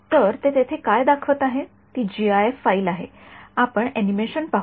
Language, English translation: Marathi, So, what they are showing over here is a gif file we will see the animation